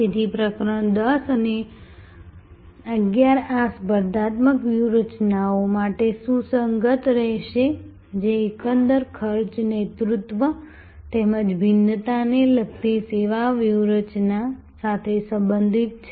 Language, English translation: Gujarati, So, chapter 10 and 11 will be relevant for these competitive strategies that relate to overall cost leadership as well as the service strategy relating to differentiation